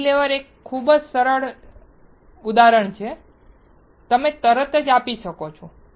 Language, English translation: Gujarati, Cantilever is a very easy example, you can immediately give